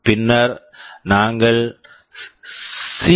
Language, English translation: Tamil, And then we CPSR